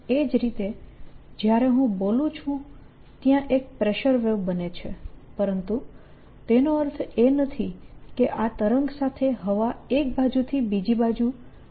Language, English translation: Gujarati, similarly, when i am speaking, there is a pleasure wave that is going, but does not mean that air is moving from one side to the other